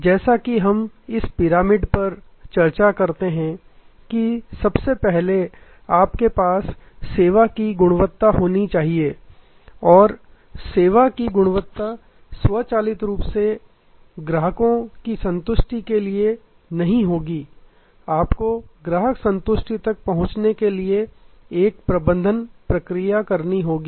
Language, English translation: Hindi, As we discuss this pyramid that first of all you must have service quality and service quality will not automatically lead to customer satisfaction, you have to have a manage process to reach customer satisfaction